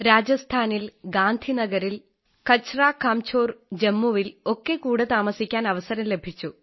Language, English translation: Malayalam, I got a chance to stay together in Rajasthan, in Gandhi Nagar, Kachra Kanjhor in Jammu